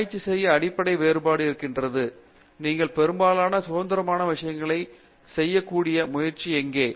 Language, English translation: Tamil, To research is the basic difference comes is the, where you try to independently do most of the things yourself